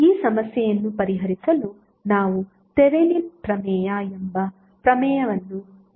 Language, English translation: Kannada, So to solve that problem we use the theorem called Thevenin’s theorem